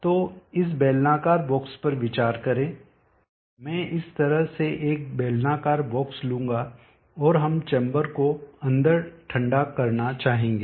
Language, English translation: Hindi, So consider this cylindrical box, I will take a cylindrical box like this, and we would like to cool the chamber inside